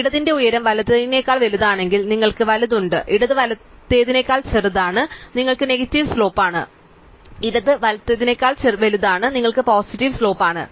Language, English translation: Malayalam, If the height of the left is bigger than the height of the right, then you have right, left is smaller than right you have negative slope, left is bigger than right you are positive slope